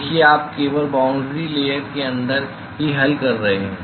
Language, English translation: Hindi, See you are solving only inside the boundary layer